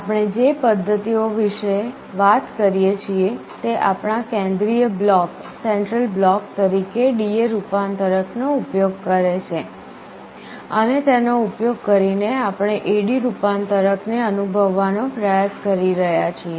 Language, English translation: Gujarati, The methods that we talk about now use a D/A converter as our central block, and using that we are trying to realize an A/D converter